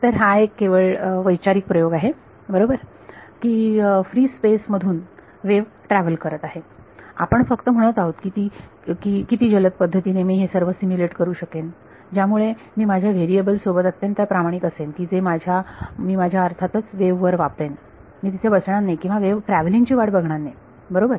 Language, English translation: Marathi, So, this is the sort of a thought experiment this is only a thought experiment right the wave as travelling through free space we are just saying how quickly can I simulate everything such that I am being faithful to the variables that I am writing on my wave of course, I am not sitting there and waiting for like travelling right